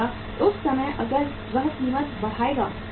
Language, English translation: Hindi, At that time if he jack up the price then what will happen